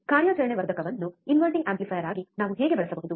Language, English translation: Kannada, How can we use an operational amplifier as an inverting amplifier